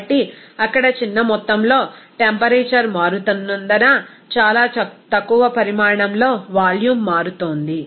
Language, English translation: Telugu, So, simply very small amount of volume is changing because of the small amount of temperature is changing there